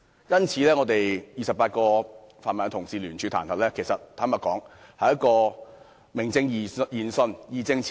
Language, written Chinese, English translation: Cantonese, 因此，我們28名泛民同事聯署彈劾是名正言順的。, For this reason it is perfectly justified for us 28 pan - democratic Members to jointly initiate an impeachment motion